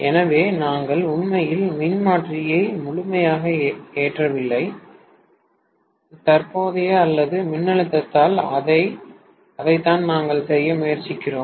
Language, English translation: Tamil, So, we are not really loading the transformer to the fullest extent, neither by the current, or nor by the voltage, that is what we are trying to do